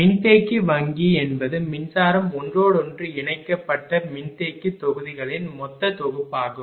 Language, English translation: Tamil, And capacitor bank is a total assembly of capacitor modules electrically connected to each other